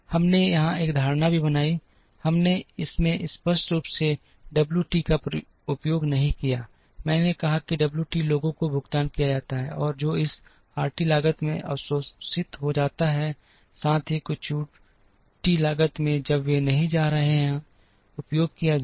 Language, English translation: Hindi, We also made an assumption here, we did not explicitly use W t into this, I said the W t people are paid and that gets absorbed in this RT cost, as well as in some of the U t cost, when they are not going to be utilized